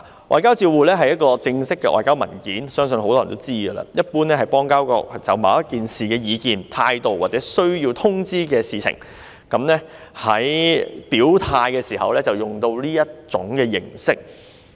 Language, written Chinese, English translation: Cantonese, 外交照會是一份正式的外交文件，相信很多人也知道，一般是指邦交國就某一事件的意見、態度而需要作出通知，在表態時使用的一種形式。, A demarche is a formal diplomatic document and I think many people know what it is . It is generally issued by a country as notification of its views or attitude on a certain incident . It is a way for expressing a position